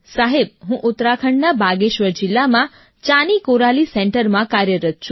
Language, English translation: Gujarati, Sir, I work at the Chaani Koraali Centre in Bageshwar District, Uttarakhand